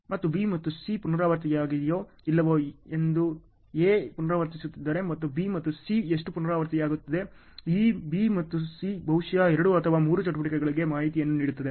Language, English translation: Kannada, And if A is repeating whether B and C are repeating or not and how much is B and C repeating ok; this B and C maybe giving information to two or three more activities